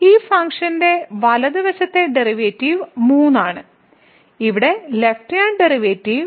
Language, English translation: Malayalam, So, the right side derivative of this function is 3 where as the left hand derivative